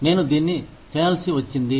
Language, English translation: Telugu, I had to do this